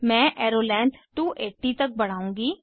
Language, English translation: Hindi, I will increase the arrow length to 280